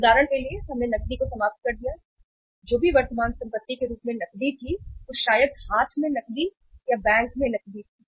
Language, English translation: Hindi, For example we exhausted the cash, whatever the cash as a current asset we had maybe the cash in hand or cash at bank